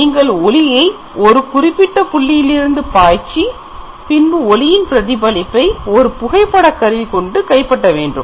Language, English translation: Tamil, So, you project that light on a particular surface point and then the reflection of that light will be captured by a camera